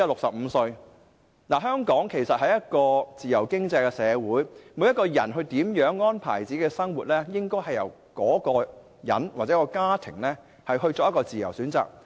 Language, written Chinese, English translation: Cantonese, 其實香港是一個自由經濟社會，每個人如何安排自己的生活，應由各人本身或其家庭作自由選擇。, In fact Hong Kong is a free economy . How people make arrangements for their lives should be a matter of free choice by themselves or their families